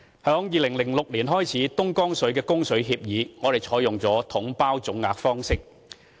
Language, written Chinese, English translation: Cantonese, 自2006年起的東江水供水協議，我們採用了"統包總額"方式。, Starting from the 2006 Dongjiang water supply agreement we have used the package deal lump sum approach